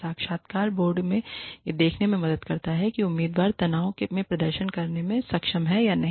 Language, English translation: Hindi, It helps the interview board see, whether the candidate is capable of performing, under stress